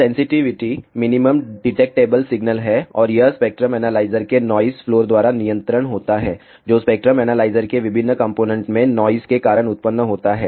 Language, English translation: Hindi, Sensitivity is the minimum detectable signal and is governed by the noise floor of the spectrum analyzer, which arises due to noise in the various components of a spectrum analyzer